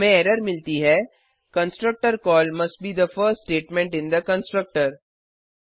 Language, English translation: Hindi, We get the error as: Constructor call must be the first statement in the constructor